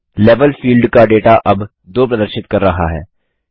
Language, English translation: Hindi, The Data of Level field now displays 2